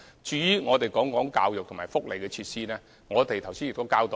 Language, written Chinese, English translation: Cantonese, 至於教育和福利設施，我們剛才亦已交代。, As regards educational and welfare facilities we have given an account too